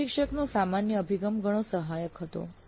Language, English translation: Gujarati, The general attitude of the instructor was quite supportive